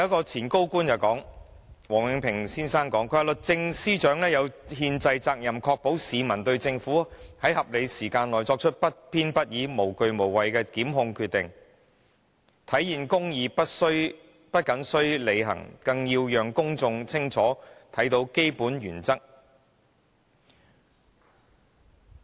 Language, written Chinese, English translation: Cantonese, 前高官王永平先生表示，"律政司司長有憲制責任確保市民對政府在合理時間內作出不偏不倚、無畏無懼的檢控決定有充分信心，體現公義不謹須履行，更要讓公眾清楚看到基本原則"。, Former senior Government official Mr Joseph WONG once stated to this effect that the Secretary for Justice has a constitutional responsibility to ensure the peoples confidence in the Governments ability to make impartial and fearless prosecution decisions within a reasonable period of time realizing the basic principle of not only must justice be done it must also be seen to be done